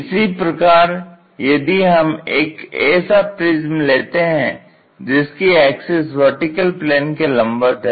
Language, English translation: Hindi, Now, let us take a pyramid and its axis is perpendicular to vertical plane